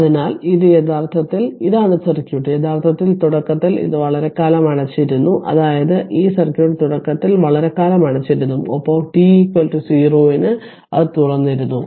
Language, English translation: Malayalam, So, this is actually this is the circuit actually initially it was initially it was closed for a long time; that means, this this circuit initially was closed for a long time and at t is equal to 0 it was open right